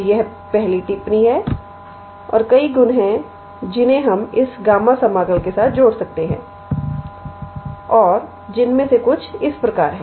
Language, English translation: Hindi, So, this is first remark and there are several properties that we can associate with this gamma integral and some of which are